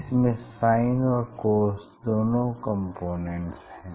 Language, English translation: Hindi, it will have the both components sin component as well as cos component